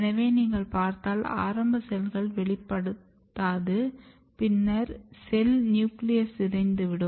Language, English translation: Tamil, So, if you look early cells does not express later cells nucleus is degraded